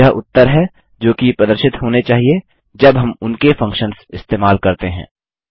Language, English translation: Hindi, These are the results which should be displayed when we use their functions